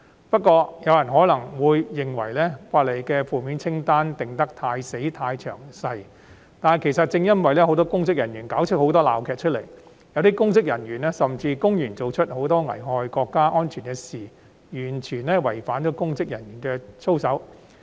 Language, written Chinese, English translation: Cantonese, 不過，可能有人認為《條例草案》的負面清單寫得太死板、太詳細，但這正是由於很多公職人員上演了很多鬧劇，有些甚至公然做出危害國家安全的行為，完全違反公職人員的操守。, Nevertheless some people may think that the negative list is too rigid and detailed . But this is because many public officers have staged too many farces some have even committed acts that blatantly endanger national security and completely violate the integrity of public officers